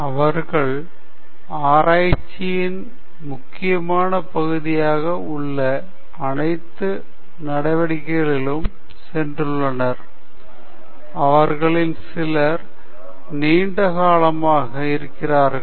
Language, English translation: Tamil, So, they have gone through all those critical steps that are there as part of research and some of them have been here longer